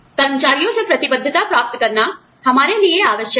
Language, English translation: Hindi, We need to get commitment from our employees